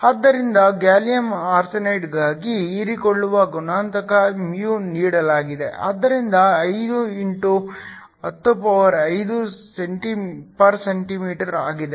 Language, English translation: Kannada, So, for gallium arsenide, the absorption coefficient mu is given, so μ is 5 x 105 cm 1